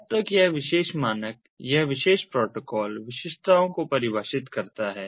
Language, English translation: Hindi, this particular standard, this particular protocol